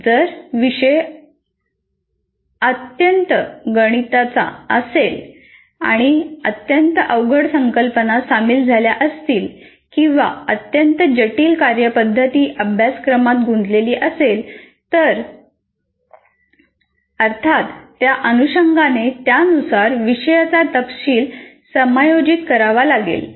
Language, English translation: Marathi, If the subject is highly mathematical and also very difficult concepts are involved or very complex procedures are involved in the course, then obviously the content will have to be accordingly adjusted not because the subject requires that